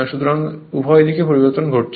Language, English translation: Bengali, So, both directions are changing